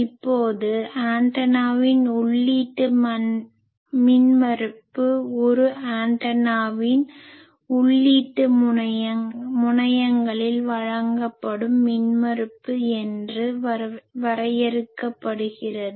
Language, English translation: Tamil, Now, input impedance of an antenna is defined as the impedance that is presented at the input terminals of an antenna